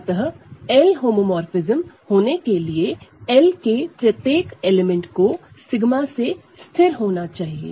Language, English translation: Hindi, So, in order to be an L homomorphism every element of L has to be fixed by sigma